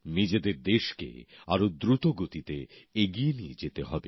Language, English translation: Bengali, We have to take our country forward at a faster pace